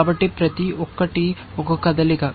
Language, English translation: Telugu, So, each is a move